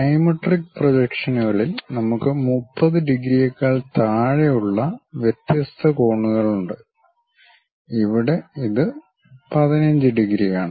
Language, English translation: Malayalam, In dimetric projections, we have different angles something like lower than that 30 degrees, here it is 15 degrees